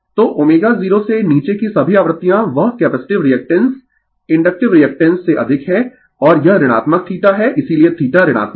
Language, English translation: Hindi, So, all frequencies below omega 0 that capacitive reactance is greater than the inductive reactance right and this is negative theta therefore, theta is negative